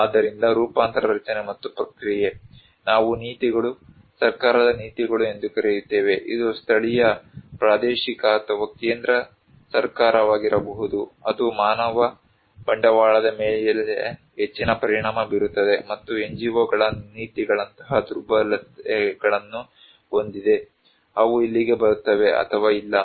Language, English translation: Kannada, So, transformation structure and process, we call the policies, policies of the government, it could be local, regional or central government that has a great impact on human capital and vulnerabilities like policies of the NGOs, they will come here or not